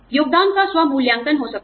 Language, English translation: Hindi, There could be self assessment of contribution